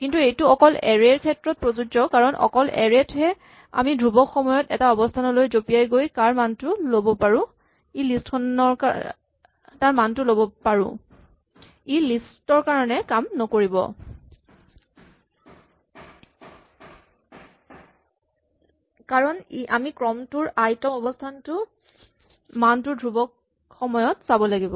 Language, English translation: Assamese, But this can only be done for arrays because only for arrays can we take a position and jump in and get the value at that position in constant time, it will not work for lists, because we need to look up the sequence at the ith position in constant time